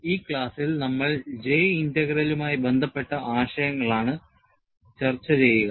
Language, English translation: Malayalam, You know, in this class, we will discuss concepts related to J Integral